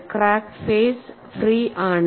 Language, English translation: Malayalam, The crack phases are free